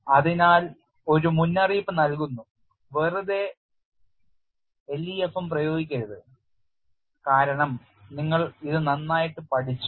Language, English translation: Malayalam, So, the warning is simply do not apply LEFM because that you have learn it thoroughly